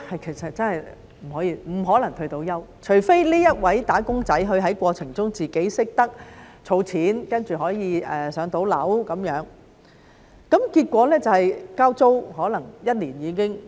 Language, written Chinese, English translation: Cantonese, 其實真的不可能退休，除非這位"打工仔"在過程中懂得儲錢，然後可以"上樓"，否則便是可能交租一年便已經用完。, But these people have worked for more than two decades . Can they retire? . The fact is that it is really impossible for them to retire unless one has saved up money throughout the years and then become a home owner or else their money will probably be used up for paying a years rental